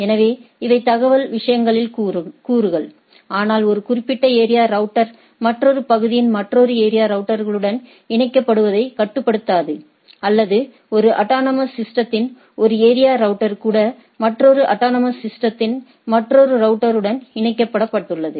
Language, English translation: Tamil, So, these are the constituents of information things, but that does not restrict that a particular area router to connect to a particular another area router of another area, or even the area a router in a autonomous system in area router of the autonomous system connected to another router of another autonomous systems and the type of things, right